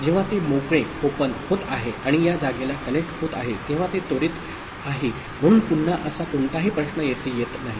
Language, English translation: Marathi, When it is getting open and connecting to this place, so it is a immediate so there is no such issue again it is getting here